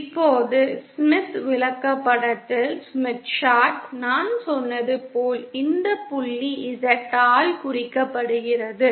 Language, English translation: Tamil, Now on the Smith Chart as I said this point is represented by this point ZL